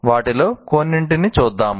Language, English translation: Telugu, Let us look at some of them